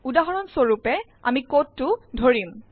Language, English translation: Assamese, For example, consider the code